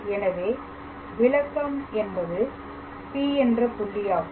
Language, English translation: Tamil, So, interpretation is let P be any point